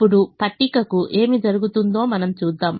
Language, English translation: Telugu, now we see what happens to the table